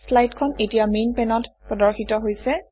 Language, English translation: Assamese, This slide is now displayed on the Main pane